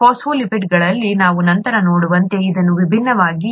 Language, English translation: Kannada, In the phospholipids, this is different as we will see later